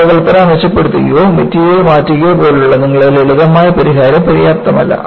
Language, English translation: Malayalam, Your simple remedial solution like improving the design or changing material was not sufficient